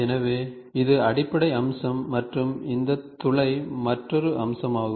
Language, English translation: Tamil, So, this is the base feature and this hole is another feature